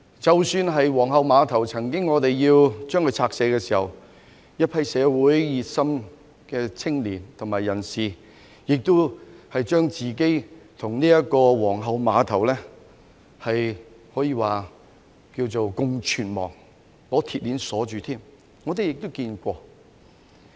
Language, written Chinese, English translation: Cantonese, 即使是皇后碼頭，政府曾經要將之拆卸時，一批社會熱心的青年和人士曾將自己與皇后碼頭共存亡，他們有人更把自己用鐵鏈綁在碼頭的石柱上。, Even regarding the Queens Pier when the Government wanted to demolish it a group of young people and individuals who were enthusiastic about social issues had wanted to live or die with together the Queens Pier; some of them even tied themselves to the stone pillars of the pier with metal chains